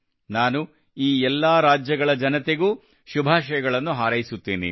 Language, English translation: Kannada, I convey my best wishes to the people of all these states